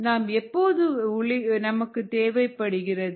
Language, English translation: Tamil, when do we need light